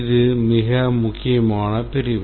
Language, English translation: Tamil, It is a very important section